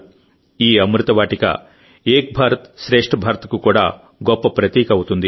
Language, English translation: Telugu, This 'Amrit Vatika' will also become a grand symbol of 'Ek Bharat Shresth Bharat'